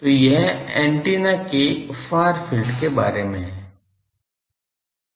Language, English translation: Hindi, So, this is about the far field of the antenna